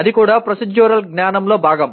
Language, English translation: Telugu, That is also part of procedural knowledge